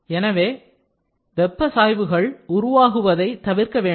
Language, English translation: Tamil, So, large thermal gradient should be avoided